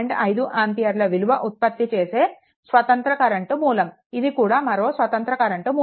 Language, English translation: Telugu, 5 ampere independent current source, this is also independent current source